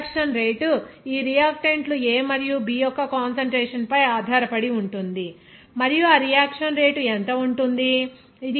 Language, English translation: Telugu, So, the rate of reaction depends on this concentration of these reactants A and B and what will be the rate of that reaction